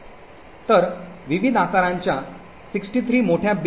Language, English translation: Marathi, So there are also 63 large bins of various sizes